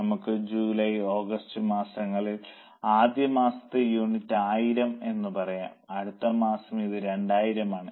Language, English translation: Malayalam, Now for two months, let us say July and August, for first month the units are 1000, for next month it is 2000